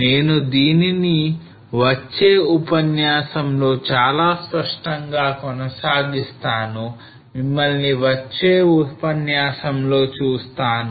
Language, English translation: Telugu, I will continue this in greater detail in the next lecture until then bye and see you in the next lecture